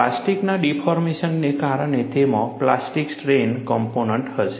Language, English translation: Gujarati, Because of plastic deformation, it will have plastic strain component